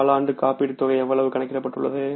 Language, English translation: Tamil, Quarterly insurance amount will work out as how much